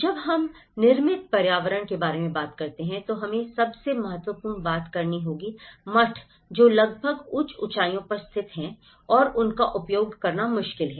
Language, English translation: Hindi, When we talk about the built environment, the most important things we have to talk is the monasteries which are almost located in the higher altitudes and they are difficult to access